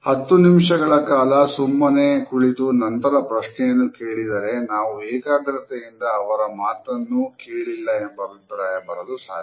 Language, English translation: Kannada, If we sat there quietly for ten minutes and asked the same question, we make the impression that we did not even pay attention